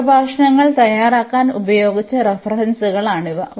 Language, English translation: Malayalam, These are the references which are used to prepare these lectures